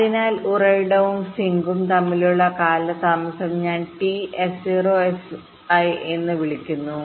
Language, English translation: Malayalam, so the delay between the source and the sink i refer to as t s zero, s i